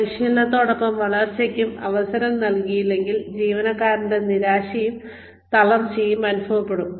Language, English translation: Malayalam, If opportunity for growth is not given, along with that training, then the employee will feel, disheartened, demotivated